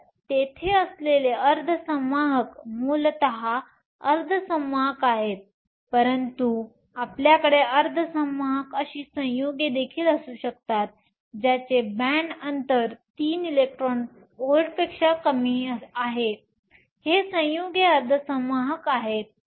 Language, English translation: Marathi, So, those semiconductors there are elements are essentially your elemental semiconductors, but you can also have compounds that have semiconductors that is, whose band gap lies less in 3 electron volts, these are compound semiconductors